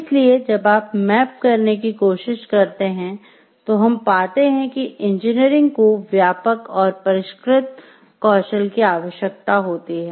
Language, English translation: Hindi, So, when you try to map we find like engineering requires extensive and sophisticated skills